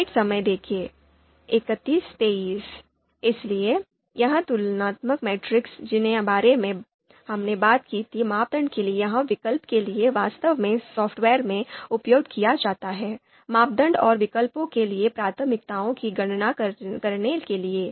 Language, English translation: Hindi, So these comparison matrix matrices that we talked about whether for criteria or for alternatives, so these are actually used in the software to compute the you know you know to calculate the priorities for criteria and alternative